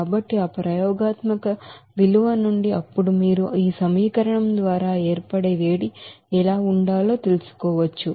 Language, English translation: Telugu, So from that experimental value, then you can find out what should be the heat of formation by this equation